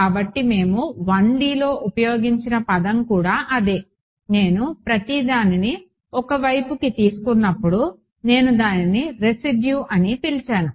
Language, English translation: Telugu, So, that is also what was the term we had used in 1D, the residual when I took everything onto 1 side I called it the residue right